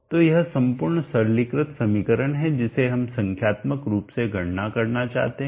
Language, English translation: Hindi, So this is the entire simplified iterative equation that we would like to numerically compute